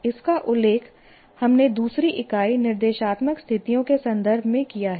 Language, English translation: Hindi, And we mentioned this in the context of our second unit itself, what you call instructional situations